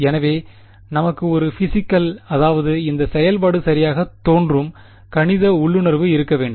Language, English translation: Tamil, So, we should have a physical I mean a mathematical intuition of what this function looks like right